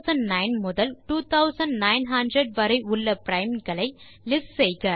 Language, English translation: Tamil, List all the primes between 2009 and 2900 3